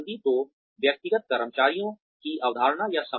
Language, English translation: Hindi, So, retention or termination of individual employees